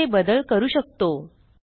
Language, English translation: Marathi, Now, we can make a change here